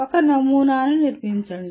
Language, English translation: Telugu, Construct a model